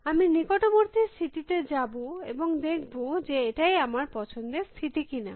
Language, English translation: Bengali, I will go to the neighboring state and see if that is the state I was interested in